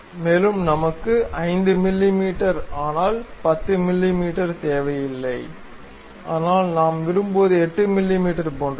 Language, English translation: Tamil, And we do not want 5 mm, but 10 mm; but something like 8 mm we are interested in